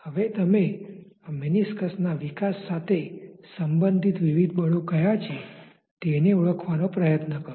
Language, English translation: Gujarati, Now, if you try to identify that what are the various forces which are related to the development of this meniscus